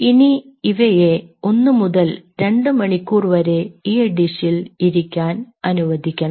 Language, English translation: Malayalam, now you leave this in a dish for approximately one to two, two hours